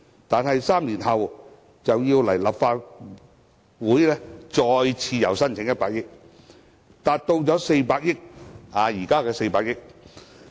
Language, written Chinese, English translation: Cantonese, 但是 ，3 年後便要前來立法會再次申請增加100億元，達至現時的400億元。, Yet the Government already had to request the Legislative Councils approval for further raising the ceiling by 10 billion only three years later